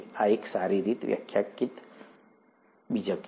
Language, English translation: Gujarati, This is a well defined nucleus